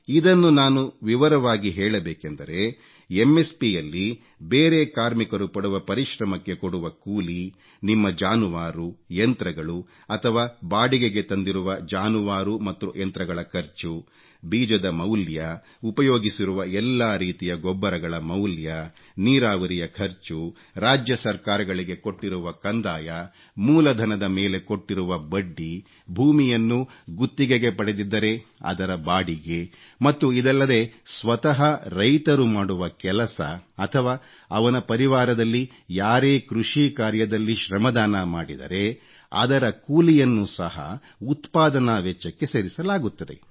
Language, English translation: Kannada, If I may elaborate on this, MSP will include labour cost of other workers employed, expenses incurred on own animals and cost of animals and machinery taken on rent, cost of seeds, cost of each type of fertilizer used, irrigation cost, land revenue paid to the State Government, interest paid on working capital, ground rent in case of leased land and not only this but also the cost of labour of the farmer himself or any other person of his family who contributes his or her labour in agricultural work will also be added to the cost of production